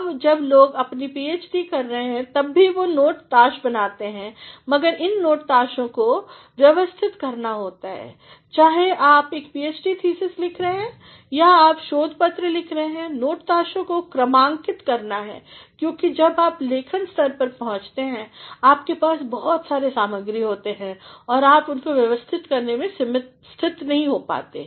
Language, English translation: Hindi, Now, even when people are doing their PhD they make note cards, but these note cards have to be arranged, whether you are writing a PhD thesis or you are writing a research paper, the note cards are to be numbered, because when you come to the writing stage, you have got plethora of materials and you are not in a position to arrange them